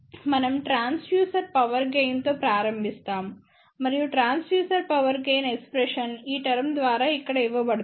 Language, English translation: Telugu, We will start with the Transducer Power Gain and Transducer Power Gain expression is given by this term over here